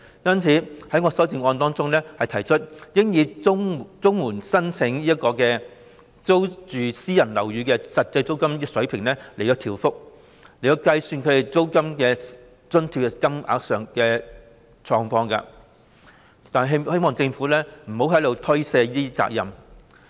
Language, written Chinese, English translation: Cantonese, 因此，我在修正案提出應以綜援申領人租住私人樓宇的實際租金升幅，計算其租金津貼的金額，是希望政府不要推卸責任。, For this reason in proposing in my amendment that the amount of rent allowance be calculated on the basis of the increase in actual rent payments of CSSA recipients renting private residential units it is hoped that the Government will not shirk its responsibility